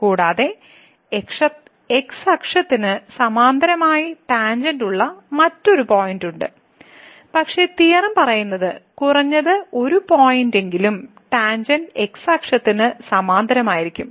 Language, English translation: Malayalam, And, there is another point where the tangent is parallel to the , but the theorem says that there will be at least one point where the tangent will be parallel to the